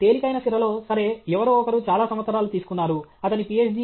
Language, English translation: Telugu, In a lighter vein okay, somebody has taken lot of years, his Ph